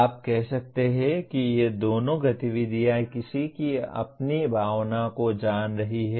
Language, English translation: Hindi, You can say these two activities are knowing one’s own emotions